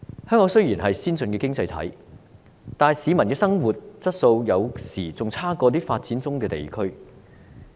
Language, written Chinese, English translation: Cantonese, 香港雖然是先進的經濟體，但市民的生活質素有時比發展中地區還要差。, Although Hong Kong is an advanced economy sometimes the peoples quality of living is even poorer than that in developing regions